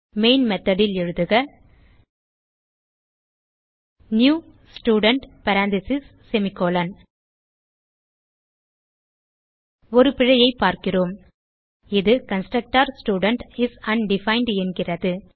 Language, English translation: Tamil, So in main method type new Student parentheses semi colon We see an error, it states that constructor Student is undefined